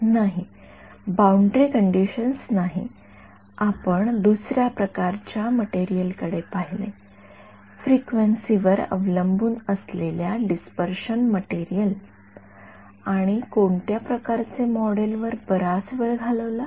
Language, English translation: Marathi, No, not boundary conditions what we looked at another kind of material, no one big we spend a lot of time on this frequency dependent dispersive materials and which kind of model